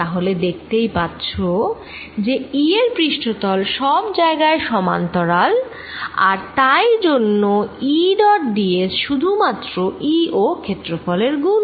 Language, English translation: Bengali, so you see e and the surface are parallel everywhere and therefore e d s is nothing but e dot d s is nothing but e times area there